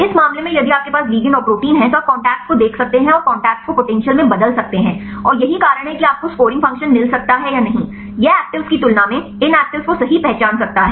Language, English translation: Hindi, In this case if you have the ligand and the protein you can see the contacts and convert the contacts into potentials right and this is this potentials you can get the scoring function whether this can identify the actives right compared with the in actives